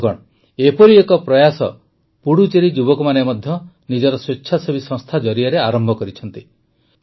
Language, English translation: Odia, Friends, one such effort has also been undertaken by the youth of Puducherry through their voluntary organizations